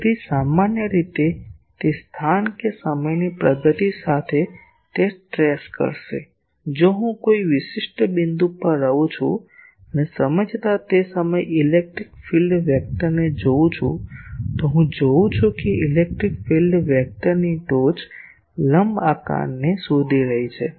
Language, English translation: Gujarati, So, in general the locus that it will trace as the time progresses; if I stay at a particular point and see the electric field vector at that point over time I will see that the tip of that electric field vector is tracing a an ellipse